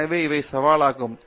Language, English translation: Tamil, So, these are the challenges